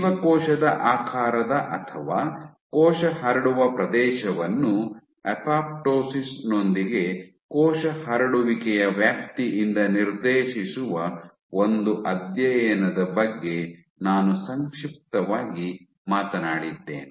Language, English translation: Kannada, I had briefly talked about one study which linked cell shaped or cell spreading area with apoptosis dictated by the extent of cell spreading